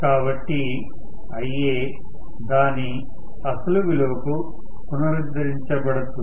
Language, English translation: Telugu, So, Ia increases and reaches its original value